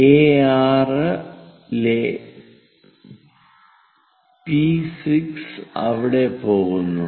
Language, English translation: Malayalam, P6 on A6 goes there